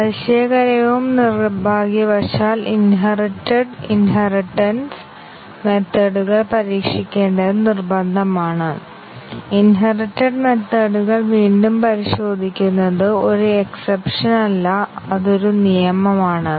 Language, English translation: Malayalam, Surprisingly and unfortunately, it is mandatory to test the inheritance inherited methods retesting of the inherited methods is the rule rather than an exception